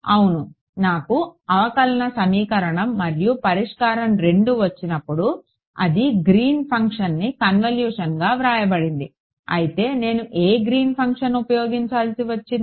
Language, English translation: Telugu, Well once I got the differential equation and the solution 2 it was written in terms of Green’s function as a convolution, but which Green’s function did I have to use